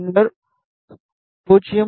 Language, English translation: Tamil, One is 0